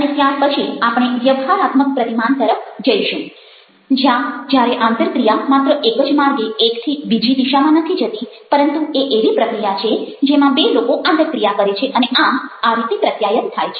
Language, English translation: Gujarati, and then we move on to transactional models where the interaction it's not just one way, going from one direction to the other, but it's a process, process where two people are interacting